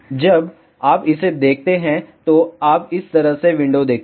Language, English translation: Hindi, When you see this, you will see window like this